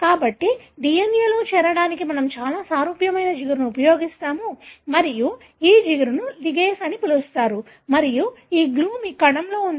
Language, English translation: Telugu, So, very similar kind of glue we will use to join DNA and this glue is called as ligase and this glue is there in your cell